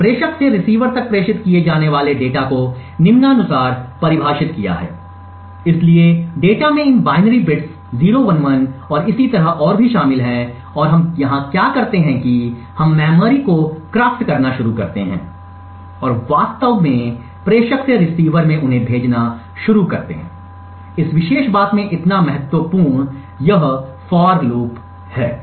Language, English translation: Hindi, We have defined the data to be transmitted from the sender to the receiver as follows, so the data comprises of this binary bits 011 and so on and what we do over here is that we start to craft memory and start to actually send them from the sender to the receiver, so important in this particular thing is this particular for loop